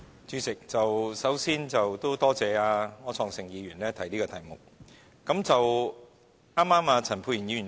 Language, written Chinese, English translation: Cantonese, 主席，首先，多謝柯創盛議員提出這項議案。, President first of all I would like to thank Mr Wilson OR for moving this motion